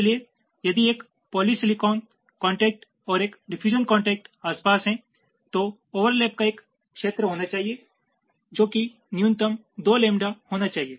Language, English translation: Hindi, so if there is a polysilicon contact and a diffusion contact side by side, then there has to be a region of overlap which must be minimum two lambda